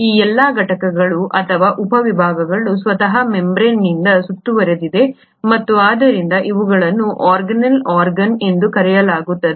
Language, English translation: Kannada, All these components or subdivisions in turn themselves are surrounded by membranes and hence they are called as organelles, which is organ like